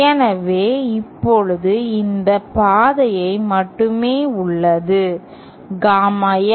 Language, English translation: Tamil, So, now only this path remains, gamma L